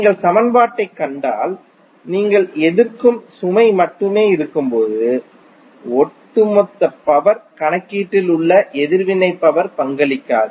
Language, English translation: Tamil, So if you see the equation your reactive power would not be contributing in the overall power calculation when you have only the resistive load